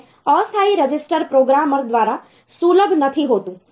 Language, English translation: Gujarati, And this temporary register is not accessible by the programmer